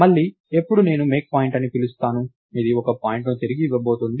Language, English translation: Telugu, So, again when I call MakePoint, this is going to return a point